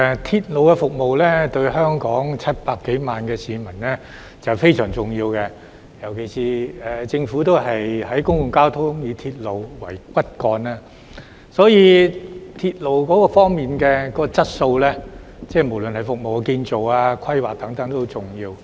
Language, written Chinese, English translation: Cantonese, 鐵路服務對香港700多萬名市民非常重要，尤其是政府的公共交通政策以鐵路為骨幹，所以鐵路的質素，無論是服務、建造和規劃等也很重要。, Railway services are extremely important to the 7 million - odd people in Hong Kong especially as the Government adopts the public transport policy with railway as the backbone . Therefore the quality of railways be it in terms of service construction and planning is also very important